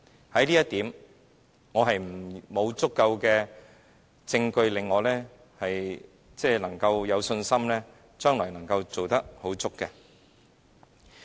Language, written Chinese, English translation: Cantonese, 對於這一點，沒有足夠證據令我有信心將來能做得令人滿意。, In this regard due to insufficient proofs I am not confident that this initiative can be satisfactorily implemented